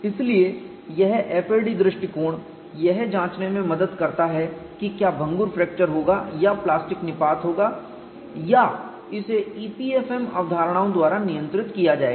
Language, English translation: Hindi, So, this FAD approach helps to investigate whether brittle fracture would occur or plastic collapse would occur or will it be controlled by e p f m concepts